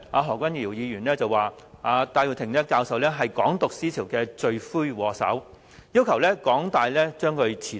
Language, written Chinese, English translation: Cantonese, 何君堯議員當時指戴耀廷教授是"港獨"思潮的罪魁禍首，要求港大把戴教授辭退。, Back then accusing Prof Benny TAI as the chief culprit of advocating the ideology of Hong Kong independence Dr HO demanded that Prof TAI be sacked by the University of Hong Kong